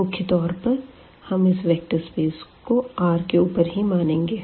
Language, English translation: Hindi, So, here the first example we are considering that is the vector space R n over R